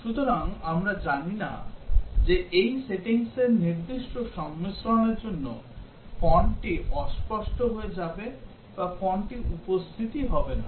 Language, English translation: Bengali, So we do not know whether for a specific combination of these settings, the font will get smudged or the font does not appear